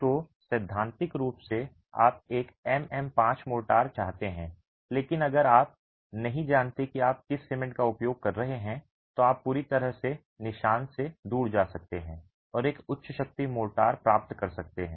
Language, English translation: Hindi, So, theoretically you might want a MM5 motor, but if you don't know what cement you are using, you can go completely off the mark and get a higher strength motor